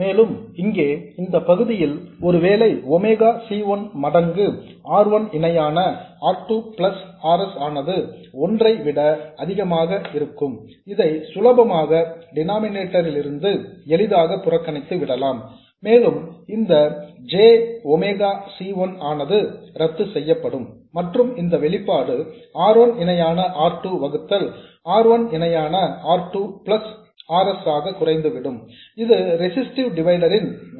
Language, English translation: Tamil, And here we can very easily see that if this part here, if Omega C1 times R1 parallel R2 plus RS is much more than 1, then we can simply neglect this 1 in the denominator and this jmega c1 will cancel out and this expression will reduce to this r1 parallel R2 divided by R1 parallel R2 plus RS which is the resistive divider expression